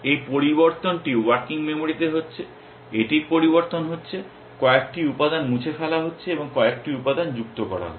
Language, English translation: Bengali, This change is in working memory, its changing, is deleting a few elements and adding a few elements